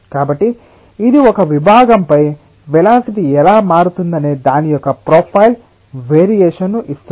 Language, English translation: Telugu, so it is giving a profile of variation, of how the velocity varies over a section